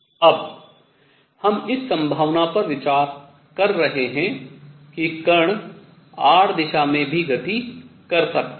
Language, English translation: Hindi, Now, we are considering the possibility that the particle can also perform motion in r direction